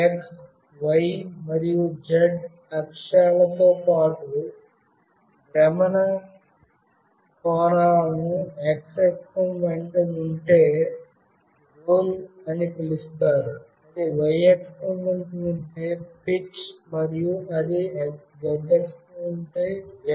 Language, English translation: Telugu, It is also possible to calculate the angles of rotation along x, y and z axes that are called roll if it is along x axis; pitch if it is along y axis; and yaw if it is along z axis